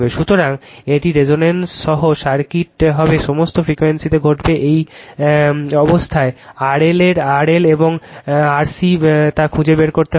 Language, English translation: Bengali, So, it would circuit with resonance will happen at in all frequencies right you have to find out what is the R L and R C this one this condition